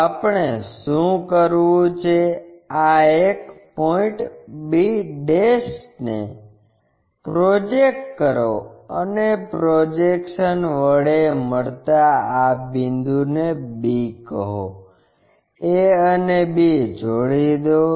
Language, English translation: Gujarati, So, what we have to do is project this one point b ' make a projection call this point b, join a and b